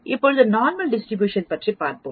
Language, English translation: Tamil, Now, let us look at Normal Distribution